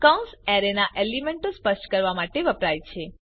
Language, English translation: Gujarati, The braces are used to specify the elements of the array